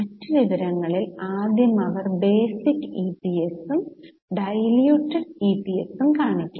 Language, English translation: Malayalam, In the other information first they have to show basic EPS and diluted EPS